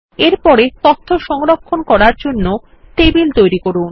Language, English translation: Bengali, Next, let us create tables to store data